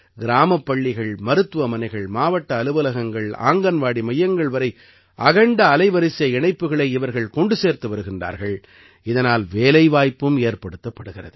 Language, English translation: Tamil, These people are providing broadband connection to the schools, hospitals, tehsil offices and Anganwadi centers of the villages and are also getting employment from it